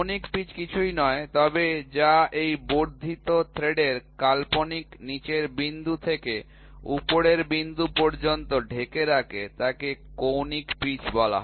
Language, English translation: Bengali, So, angular pitch is nothing, but which covers from the imaginary down point of this extended thread to the topmost point is called as the angular pitch